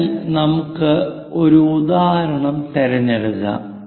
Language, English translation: Malayalam, So, let us pick an example